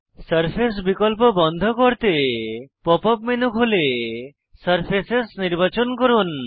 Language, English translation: Bengali, To turn off the surface option, open the Pop up menu, choose Surfaces